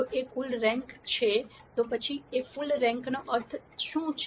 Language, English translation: Gujarati, If A is full rank, what does full rank mean